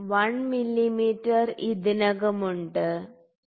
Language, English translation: Malayalam, So, 1 mm is already there, ok